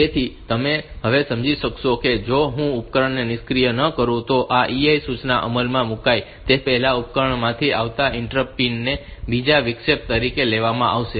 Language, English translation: Gujarati, So, you can understand now, that if I do not deactivate that device the interrupts pin coming from the device interrupts signal coming from the device before this EI instruction is executed then, it will be taken as a second interrupt